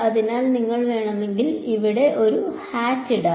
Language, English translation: Malayalam, So, if you want you can put a hat over here